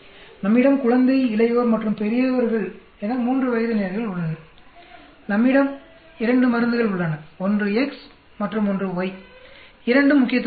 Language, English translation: Tamil, We have three age levels infant, adult and old; and we have two drugs one is X and Y both are significant